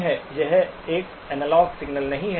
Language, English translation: Hindi, It is not an analog signal